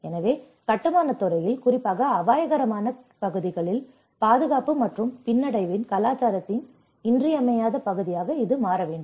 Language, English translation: Tamil, So, it has to become an essential part of culture of safety and resilience in the construction industry, especially in the hazard prone areas